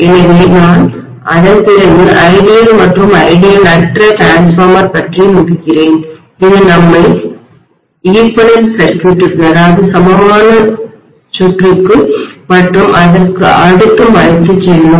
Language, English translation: Tamil, So I will then cover ideal and non ideal transformer which will take us to equivalent circuit and so on and so forth, okay